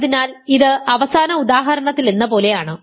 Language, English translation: Malayalam, So, this is as in the last example ok